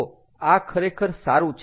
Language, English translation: Gujarati, so this actually is is good